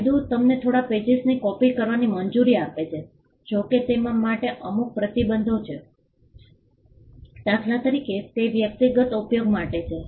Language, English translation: Gujarati, The law allows you to copy few pages provided there are certain restrictions to it for instance it is for personal use